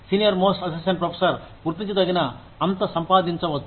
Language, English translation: Telugu, The senior most assistant professor could be earning significantly different